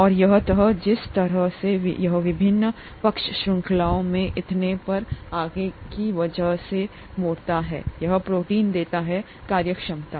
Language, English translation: Hindi, And this folding, the way it folds because of the various side chains and so on so forth, is what gives protein its functionality